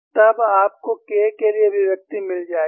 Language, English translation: Hindi, Then, you will get the expression for K